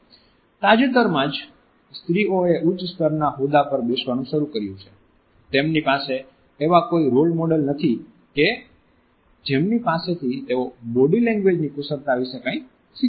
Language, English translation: Gujarati, It is only recent that women have started to wield positions of authority at a much higher level; they do not have any role models from whom they can learn skills in body language